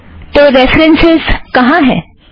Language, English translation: Hindi, So where are the references